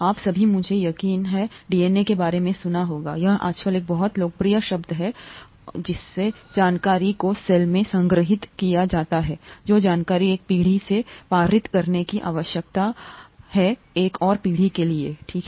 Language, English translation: Hindi, All of you, I’m sure, would have heard of DNA, it’s a very popular term nowadays and that’s how information is stored in the cell, the information that needs to passed on from one generation to another generation, okay